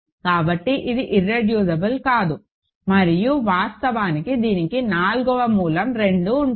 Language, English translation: Telugu, So, it cannot be irreducible and in fact, it has a root, namely fourth root of 2